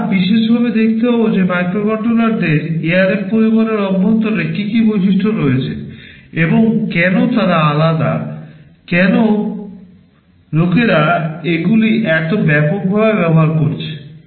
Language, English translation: Bengali, We shall specifically see what are the features that are inside the ARM family of microcontrollers and why they are different, , why people are using them so widely